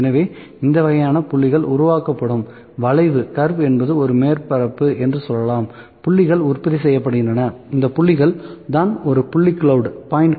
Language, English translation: Tamil, So, this kind of points will be produced, the curve let me say this is one surface, ok, the points are produced, these are the points, this is point cloud